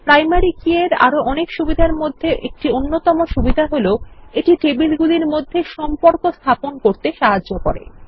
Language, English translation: Bengali, One of the various advantages of a primary key is that it helps to establish relationships between tables